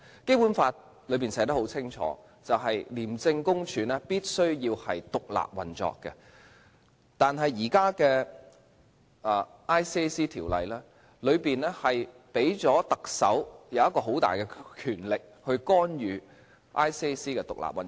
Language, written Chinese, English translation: Cantonese, 《基本法》清楚訂明，廉政公署必須獨立運作，但現行的《廉政公署條例》，賦予特首很大的權力，去干預廉政公署的獨立運作。, It is clearly stipulated in the Basic Law that ICAC must operate independently but the Chief Executive is vested with enormous power under the existing Independent Commission Against Corruption Ordinance to interfere in the independent operation of ICAC